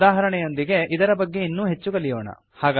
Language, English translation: Kannada, Let us learn more about it through an example